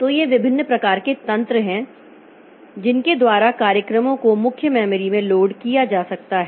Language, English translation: Hindi, So, so these are different type of mechanism by which programs can be loaded into the main memory